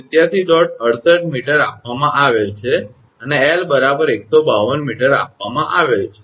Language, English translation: Gujarati, 68 meter and given L is equal to 152 meter